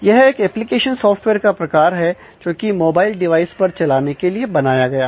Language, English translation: Hindi, So, it is a type of a application software, which is designed to run on a mobile devise